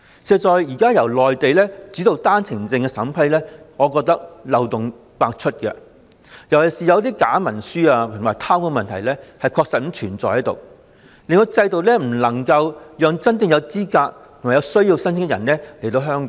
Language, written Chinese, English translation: Cantonese, 事實上，現在由內地主導單程證的審批，我認為漏洞百出，尤其是假文書和貪污的問題確實存在，令制度未能讓真正有資格和有需要的申請人來港。, I think that the present vetting and approval procedure pertaining to One - way Permit OWP applications dominated by the Mainland is full of loopholes . The problems of falsification of documents and corruption in particular render the system incapable of allowing the truly qualified applicants in need to come to Hong Kong